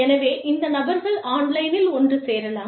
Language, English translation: Tamil, So, these people could get together, online